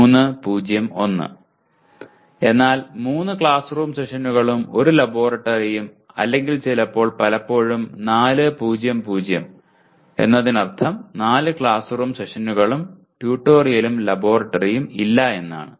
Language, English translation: Malayalam, 3:0:1 means 3 classroom sessions and 1 laboratory or sometimes not too often that you have 4:0:0 that means 4 classroom sessions and no tutorial and no laboratory